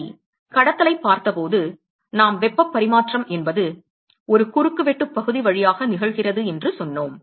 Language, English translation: Tamil, Alright, when we looked at conduction we said that heat transfer we are conduction it occurs through a cross sectional area right